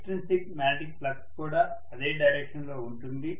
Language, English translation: Telugu, The extrinsic magnetic flux is in the same direction